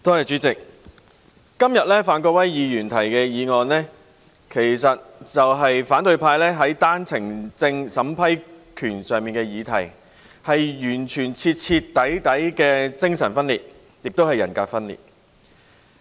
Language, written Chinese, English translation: Cantonese, 主席，范國威議員今天提出議案，是反對派在單程證審批權上製造議題，是完全、徹底的精神及人格分裂。, President Mr Gary FANs moving of the motion today is an unadulterated manifestation of schizophrenia and multiple personality disorder for the opposition to stir up controversy about the power to approve One - way Permits OWPs